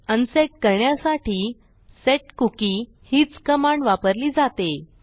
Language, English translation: Marathi, So to unset we use the same command and thats setcookie